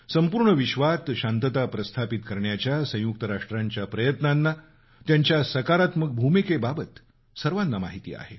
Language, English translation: Marathi, Everybody recalls the efforts and constructive role of the UN in establishing peace throughout the world